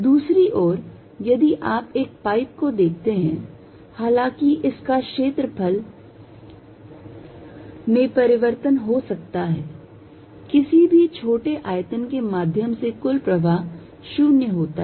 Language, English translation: Hindi, On the other hand, if you see a pipe although it is area may change, the net flow through any small volume is 0